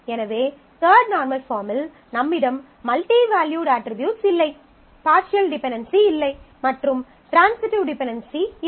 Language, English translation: Tamil, So, in third normal form you have no multivalued attribute, no partial dependency and no transitive dependency